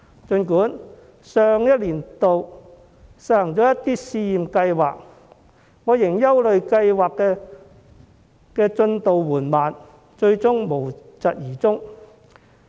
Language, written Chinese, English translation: Cantonese, 儘管上年度政府實行了一些試驗計劃，但我仍憂慮計劃的進度緩慢，最終會無疾而終。, Despite the pilot schemes carried out last year I am concerned that the progress is still slow and the schemes will end in smoke